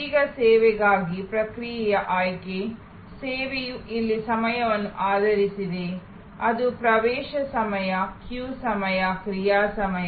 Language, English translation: Kannada, Now, process selection for service, service is based on time here, it can be access time, queue time, action time